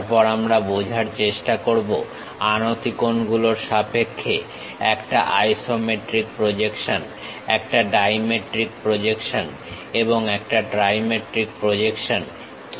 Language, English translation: Bengali, Then we try to understand what is an isometric projection, a dimetric projection, and trimetric projection in terms of the inclination angles